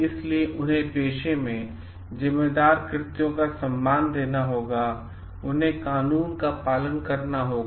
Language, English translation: Hindi, So, responsible acts they have to honor their profession, they have to act lawfully